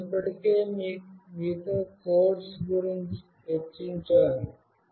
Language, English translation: Telugu, I have already discussed the codes with you